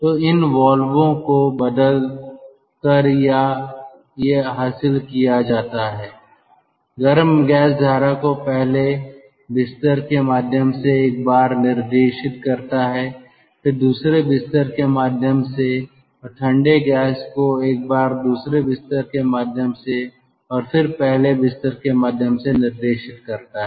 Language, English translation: Hindi, this goes on by switching of these valves, directing the hot gas stream once through the first bed, next through the second bed, and directing the cold gas once through the second bed and next through the first bed